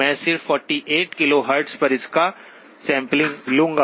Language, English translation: Hindi, I will just sample it at 48 KHz